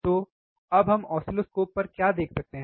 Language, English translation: Hindi, So, now what we are looking at oscilloscope